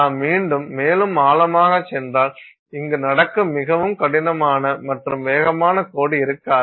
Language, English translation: Tamil, Then Then if you go further deep again this is not there may there won't be a very hard and fast line at which this happens